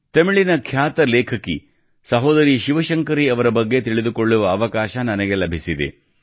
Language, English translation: Kannada, I have got the opportunity to know about the famous Tamil writer Sister ShivaShankari Ji